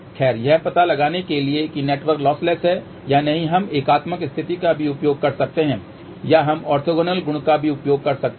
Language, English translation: Hindi, Well, in order to find out whether the network is lossless or not we can use the unitary condition also or we can use the orthogonal property also